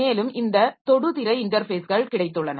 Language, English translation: Tamil, Then we have got this touchscreen interfaces